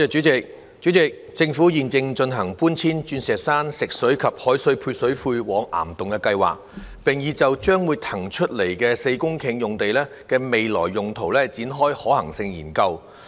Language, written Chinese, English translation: Cantonese, 主席，政府現正進行搬遷鑽石山食水及海水配水庫往岩洞的計劃，並已就將會騰空出來的4公頃用地的未來用途展開可行性研究。, President the Government is currently implementing a plan of relocating Diamond Hill Fresh Water and Salt Water Service Reservoirs to caverns and has commenced a feasibility study on the future uses of the four - hectare site to be vacated